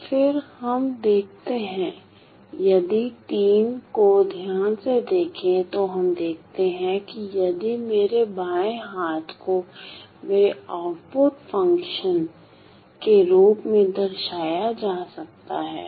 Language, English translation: Hindi, So, then we see that so, if we look at III carefully we see that if my left hand side can be denoted as my output function